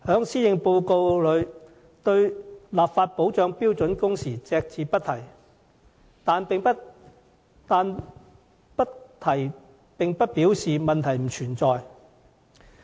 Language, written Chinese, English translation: Cantonese, 施政報告對立法保障標準工時隻字不提，但不提並不表示問題不存在。, While the Policy Address made no mention of legislating for protection of standard working hours the problem will not go away simply by omitting it